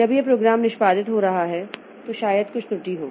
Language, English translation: Hindi, So, that way during program execution there may be some problem